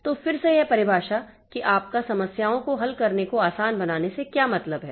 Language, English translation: Hindi, So, again, this definition like how do you, what do you mean by making the problems, problem solving easier